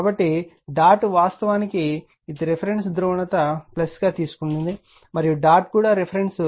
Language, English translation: Telugu, So, dot actually it is that reference polarity plus you have taken and dot is also the reference will plus